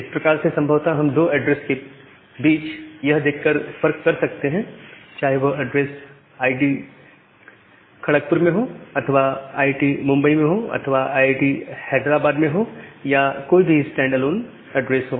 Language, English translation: Hindi, So, that way we will be possibly be able to disambiguate between two addresses by looking into whether that address is in IIT Kharagpur address or IIT Bombay address or IIT Hyderabad address or say some Stanford address